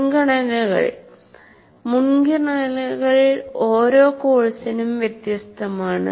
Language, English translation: Malayalam, Priorities can vary from one course to the other